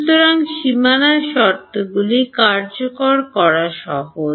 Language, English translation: Bengali, So, that it is easier to enforce boundary conditions